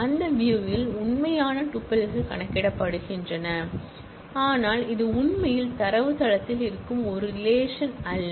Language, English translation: Tamil, The actual tuples in that view are computed, but this is not actually a relation that exists in the database